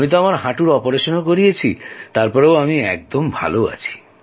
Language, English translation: Bengali, I have earlier undergone a knee surgery also